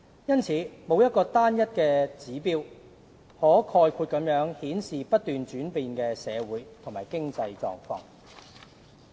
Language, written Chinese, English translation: Cantonese, 因此，沒有單一指標可概括顯示不斷轉變的社會和經濟狀況。, Therefore there is no single indicator that can serve the purpose of manifesting the changing social and economic conditions in a nutshell